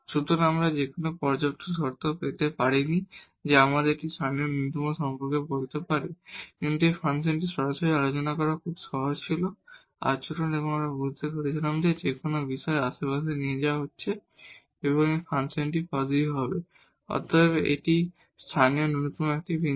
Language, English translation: Bengali, So, we could not get any sufficient condition, which can tell us about this local minimum, but this function was very easy to discuss directly, the behavior and we realized that whatever point be taking the neighborhood the function this delta f will be positive and hence, this is a point of local minimum